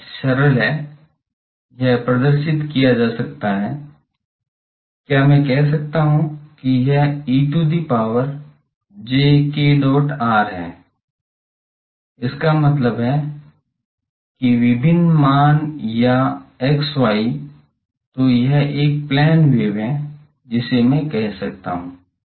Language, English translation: Hindi, It is simply the, it can be represented, can I say that this is e to the power j k dot r; that means, various values or x y, so this is a plane wave can I say